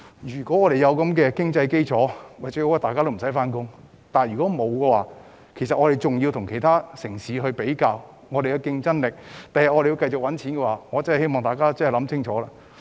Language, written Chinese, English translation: Cantonese, 如果有經濟基礎，最好大家都無需返工；但如果沒有，我們仍然要跟其他城市比較競爭力，日後仍要繼續賺錢，所以我真的希望大家要想清楚。, If our economic conditions allow it will be best that no one need to work; but if the conditions do not allow we still have to keep competing with other cities and keep making money . Thus I really hope that Members will think clearly